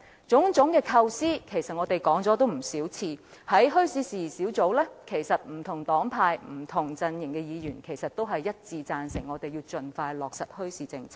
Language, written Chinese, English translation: Cantonese, 在墟市事宜小組委員會內，不同黨派、不同陣營的議員都一致贊成我們應盡快落實墟市政策。, At the meetings of the Subcommittee on Issues Relating to Bazaars Members from different political parties or different camps unanimously agreed that we should expeditiously implement a bazaar policy